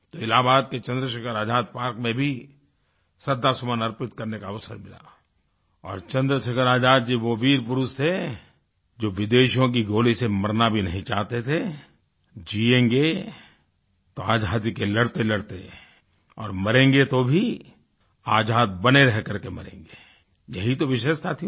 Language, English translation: Hindi, I had the opportunity to pay homage in Chandrashekhar Azad Park in Allahabad, Chandrasekhar Azad Ji was a brave man who did not wish to die by the bullet of foreigners he wished to fight for independence as a free man and if he had to die, he wished to remain a free man